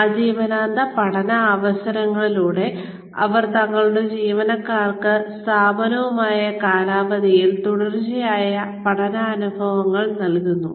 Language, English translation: Malayalam, Through lifelong learning opportunities, they provide their employees, with continued learning experiences, over the tenure, with the firm